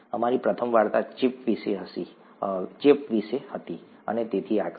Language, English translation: Gujarati, Our first story was about infection and so on so forth